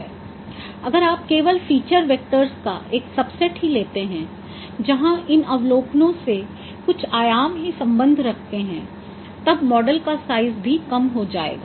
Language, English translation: Hindi, If you consider only a subset of feature vectors, only certain dimensions are related with these observations, then your model size also gets reduced